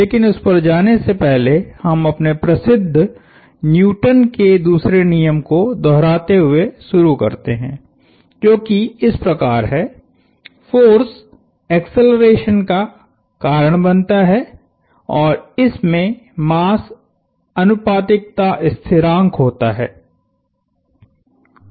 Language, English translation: Hindi, But, before we get there we start by recapping our famous Newton's second law, which is the,that force causes acceleration and the proportionality constant there is mass